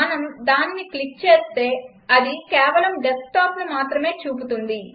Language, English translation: Telugu, If we click on it, it shows only the Desktop